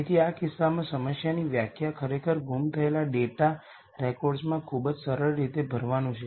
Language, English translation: Gujarati, So, in this case the problem definition is actually fill in missing data records very simple